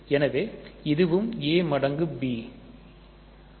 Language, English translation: Tamil, So, this is also a times b